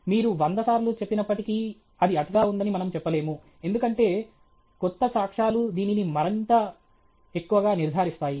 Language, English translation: Telugu, Even if you say hundred times, we cannot say that it is over stated, because new evidence only confirms this more and more okay